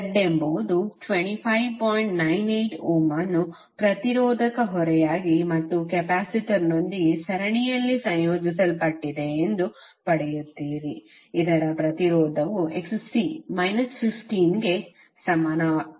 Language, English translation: Kannada, 98 ohm as a resistive load and in series with capacitor whose impedance is Xc that is equal to minus 15